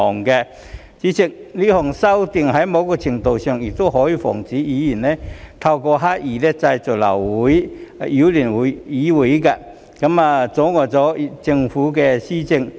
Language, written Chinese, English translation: Cantonese, 代理主席，這項修訂在某程度上亦可以防止議員透過刻意製造流會來擾亂議會、阻礙政府施政。, Deputy President this amendment can to a certain extent prevent Members from disrupting the legislature and obstructing policy administration of the Government by deliberately creating situations of meetings being adjourned due to a lack of quorum